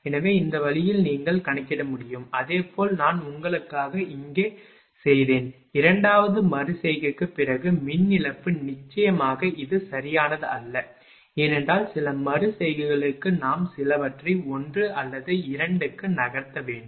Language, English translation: Tamil, So, this way you can compute, same way I have made it here for you, that power loss after second iteration, of course this is not exact, because we have to move few for few iterations another 1 or 2